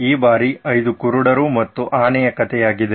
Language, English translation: Kannada, This time it’s a story of 5 blind men and the elephant